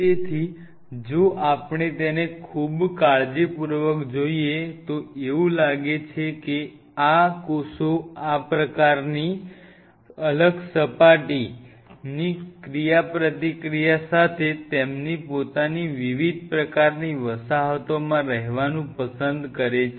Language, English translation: Gujarati, so it seems, if we look at it very carefully, its seems these cells preferred to remain in different kinds, colonies of their own with a different kind of surface interaction [vocalized noise]